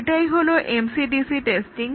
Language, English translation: Bengali, So, that is about MCDC testing